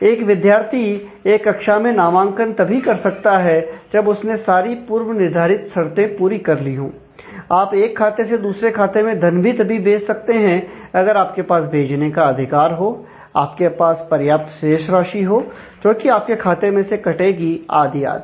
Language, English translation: Hindi, So, a student can enroll in a class only if she has completed prerequisites, you can transfer funds from one account to the other, provided, you have the authority to transfer, provided you have enough funds in the account that is going to get debited and so on